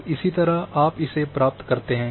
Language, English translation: Hindi, So, likewise you get